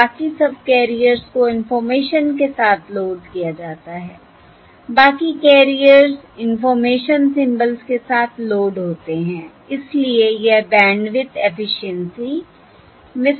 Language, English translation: Hindi, Therefore, the rest of the subcarriers can be used to transmit the information or the data symbols, and that significantly increases the bandwidth efficiency